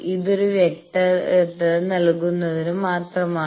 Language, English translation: Malayalam, So, this is just a clarification